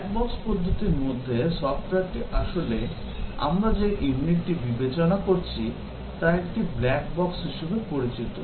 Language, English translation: Bengali, In the black box approach, the software is actually, the unit that we are considering, is considered as a black box